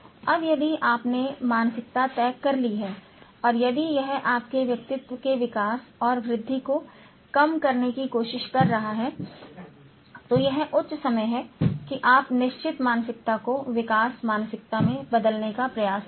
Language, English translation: Hindi, Now if you have fixed mindset and if it is trying to curtail the development and enhancement of your personality, it's high time that you try to change the fixed mindset into growth mindset